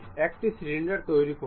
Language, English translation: Bengali, Construct a cylinder